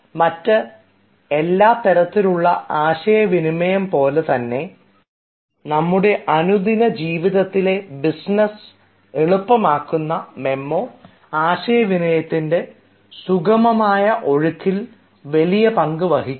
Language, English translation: Malayalam, since memo, as all other forms of communication which actually make our day to day business easier, we have to understand that it plays a vital role in the smooth flow of communication